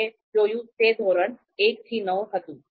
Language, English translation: Gujarati, The scale we saw 1 to 9